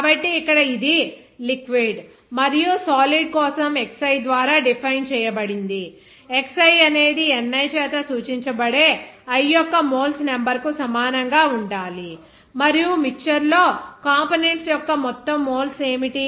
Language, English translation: Telugu, So, here that is it is defined by this your xi for the liquid and solid should be equal to a number of moles of i that is denoted by ni and also what will be the total moles of components in a mixture that will be a summation of all moles of the components